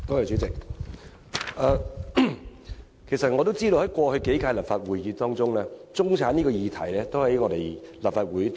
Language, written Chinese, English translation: Cantonese, 主席，我知道過去數屆立法會已多次討論中產這個議題。, President the Legislative Council has discussed the subject of middle class on numerous occasions over the last few terms